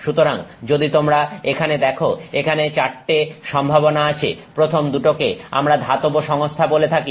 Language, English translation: Bengali, So, if you see here you have four possibilities here, the first two we are calling as metallic systems